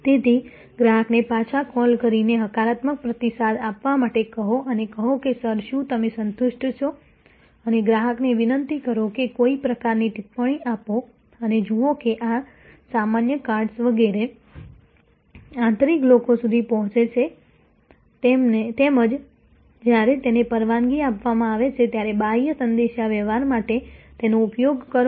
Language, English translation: Gujarati, So, pursuit the customer to give the positive feedback calling back and say sir are you satisfied and request the customer to give some kind of comment or something and see that this common cards etc, reach the internal people as well as a locations when it is permitted use them for external communication